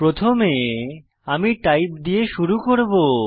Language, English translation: Bengali, First, I will begin with Type